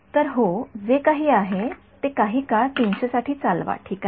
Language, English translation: Marathi, So, yeah whatever then you run it for some time 300 ok